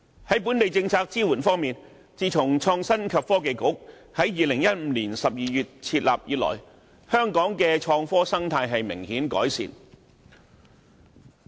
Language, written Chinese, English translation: Cantonese, 至於本港的政策支援方面，自從創新及科技局在2015年12月設立以來，香港對創科的心態已有明顯改善。, As regards policy support in Hong Kong it must be admitted that since the establishment of the Innovation and Technology Bureau in December 2015 there has been a marked attitude change in Hong Kong regarding IT